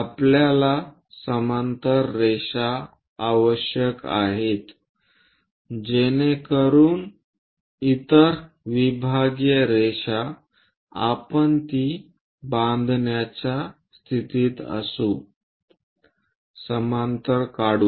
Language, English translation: Marathi, So, we need parallel lines so that other divisional lines, we will be in a position to construct it, draw parallel